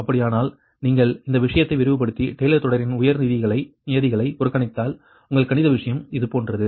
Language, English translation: Tamil, that if you expand this thing and neglect higher terms in taylor series, then you are mathematical thing will be something like this, right